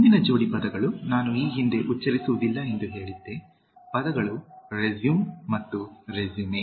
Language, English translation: Kannada, The next pair of words, I said I will not pronounce previously, the words are resume and résumé